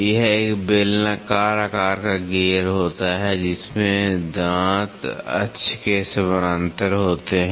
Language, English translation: Hindi, This is a cylindrical shaped gear, in which the teeth are parallel to the axis